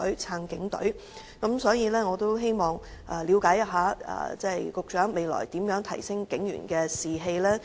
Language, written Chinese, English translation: Cantonese, 因此，我希望了解一下，局長未來如何提升警員士氣？, In this respect I want to know what the Secretary will do to boost the morale of the police force